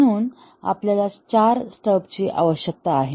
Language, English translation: Marathi, So, we need four stubs